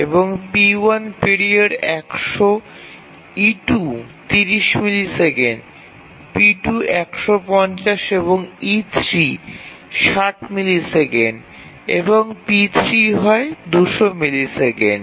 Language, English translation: Bengali, E2 is 30 millisecond period is 150 and E3 is 60 millisecond and P3 is 200 millisecond